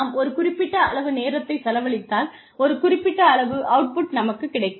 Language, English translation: Tamil, If I put in a certain number of hours, if my output is a certain amount